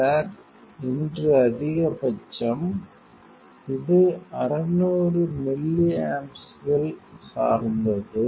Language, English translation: Tamil, Sir, today maximum , this is 600 milliamps depend on